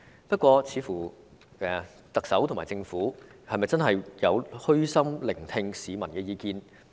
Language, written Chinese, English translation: Cantonese, 不過，特首和政府是否真的有虛心聆聽市民的意見？, However have the Chief Executive and the Government really listened to the peoples opinions with an open mind?